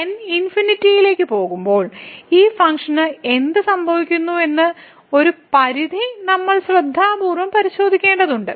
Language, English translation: Malayalam, So, we have to carefully check this limit that what will happen to this term when goes to infinity